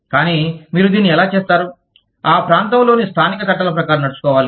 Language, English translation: Telugu, But, how do you do that, will be governed, by the local laws, in that region